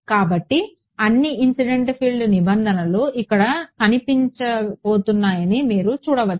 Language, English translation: Telugu, So, you can see all the incident field terms are going to appear here